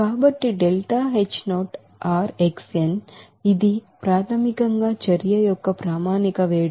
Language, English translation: Telugu, So this is basically standard heat of reaction